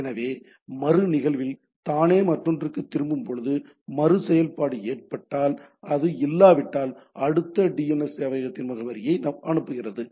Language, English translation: Tamil, So, in the recursive that itself recurs to the other, in case of iterative it sends that if it is not having sends the next that address of the next DNS server